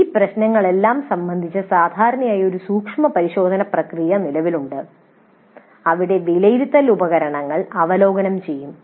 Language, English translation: Malayalam, With respect to all these issues usually a scrutiny process exists where the assessment instruments are reviewed